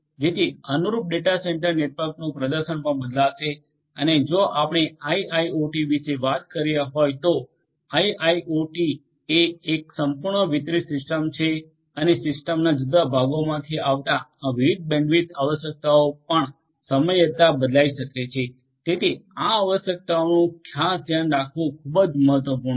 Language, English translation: Gujarati, So, correspondingly the performance of the data centre network will also change and if we are talking about IIoT, IIoT is a fully distributed system and these different bandwidth requirements coming from the different parts of the system might also change over time so, catering to this particular requirements are very important